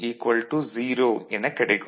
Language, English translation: Tamil, It is 0